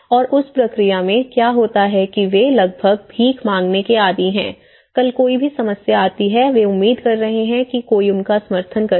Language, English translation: Hindi, And in that process, what happens is they almost accustomed to kind of begging, tomorrow any problem comes they are expecting someone will support them